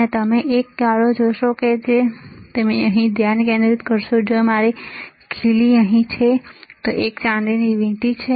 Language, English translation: Gujarati, And you will see a black and if you focus right here where my nail is there right here, there is a silver ring